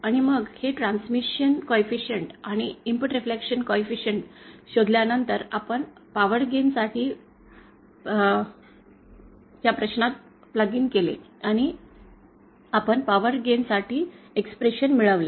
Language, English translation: Marathi, And then after finding out this transmission coefficient and the input reflection coefficient, we plugged it in the question for the power gain and we derived the expression for the power again